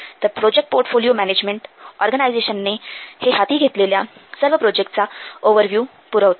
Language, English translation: Marathi, So this project portfolio portfolio management it will provide an overview of all the projects that the organization is undertaking